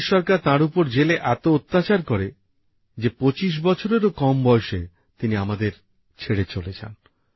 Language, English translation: Bengali, The British government put him in jail; he was tortured to such an extent that he left us at the age of less than 25years